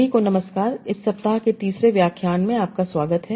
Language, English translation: Hindi, Welcome to the third lecture of this week